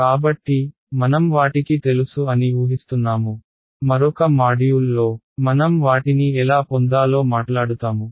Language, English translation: Telugu, So, we are just assuming that we know them ok, in another module we will talk about how to derive them